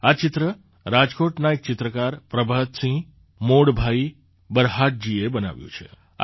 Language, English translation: Gujarati, This painting had been made by Prabhat Singh Modbhai Barhat, an artist from Rajkot